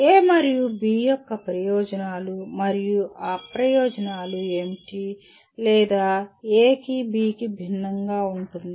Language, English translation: Telugu, What are the advantages and disadvantages of A and B or in what way A differs from B